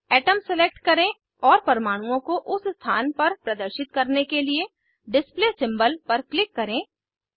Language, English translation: Hindi, Select Atom and then click on Display symbol, to display atoms at that position